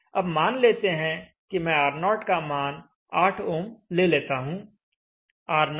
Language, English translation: Hindi, So let me first alter the value of R0 to 8 ohms from 100 ohms